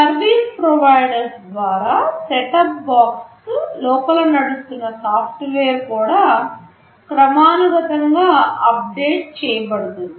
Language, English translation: Telugu, Well the software that is running inside the set top box also gets periodically updated by the service provider